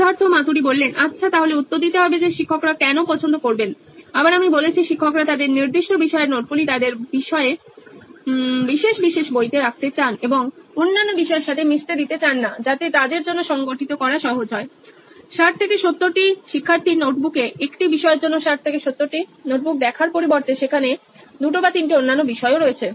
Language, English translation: Bengali, Well then to answer that why teachers would like to again like I said teachers would like to have their specific subject notes in their special book and not mix with other subjects so that it’s easy for them to organize in 60 70 student’s notebooks for one subject rather than looking 60 70 student’s notebook which has 2 or 3 other subjects as well